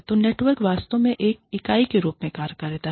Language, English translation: Hindi, So, the network actually, acts as a unit